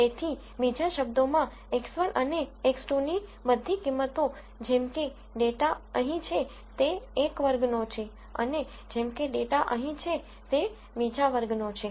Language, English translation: Gujarati, So, in other words all values of x 1 and x 2 such that the data is here, belongs to one class and, such that the data is here belongs to another class